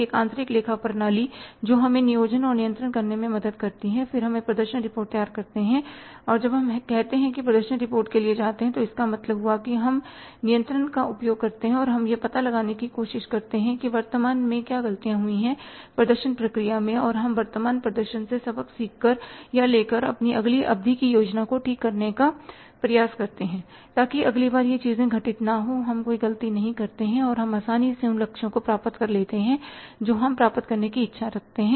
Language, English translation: Hindi, That is planning and controlling and internal accounting system that helps us in the planning and controlling and then we prepare the performance reports and when we go for the say performance reports means when we exercise the control then we try to find out what for the things which bent wrong in the current say performance process and we try to correct our next periods planning by drawing or learning lessons from the current performance or the present performance so that next time these things do not occur, we do not commit any mistakes and we easily achieve the targets which we wish to achieve